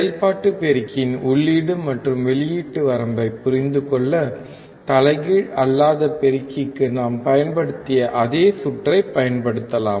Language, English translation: Tamil, To understand the input and output range of an operational amplifier, we can use the same circuit which we used for the non inverting amplifier